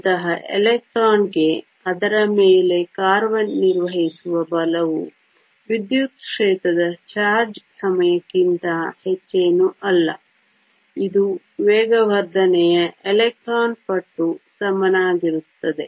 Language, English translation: Kannada, For such an electron, the force acting on it is nothing but the charge times the electric field, which equals to the mass of electron times the acceleration